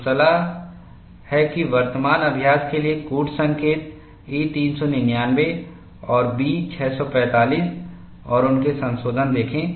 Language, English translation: Hindi, So, the advice is, for current practice, look up codes E399 and B645 and their revisions